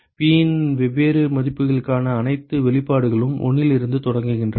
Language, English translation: Tamil, All the expressions for different values of P they all start from 1 ok